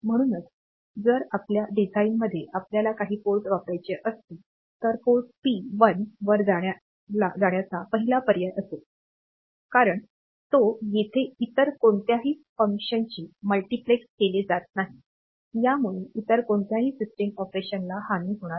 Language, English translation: Marathi, So, if in your design if you want to use some port, the first option is to go for the port P 1 because it here no other function will be multiplexed; so, it should not harm any other system operation